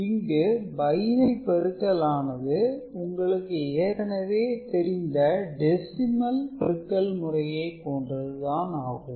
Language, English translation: Tamil, We have understood how binary multiplication is done in reference to decimal multiplication that we are already familiar with